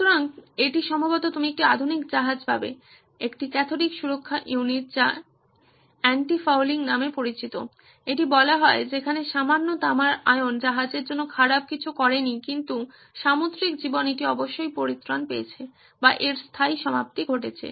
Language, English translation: Bengali, So, this is what you would probably find in a modern ship, a cathodic protection unit with anti fouling as it is called where a little bit of copper ions never did anything bad to the ship but marine life it definitely got rid of or put permanent end to that